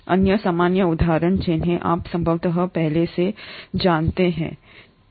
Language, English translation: Hindi, Other common examples which you are possibly aware of already are the E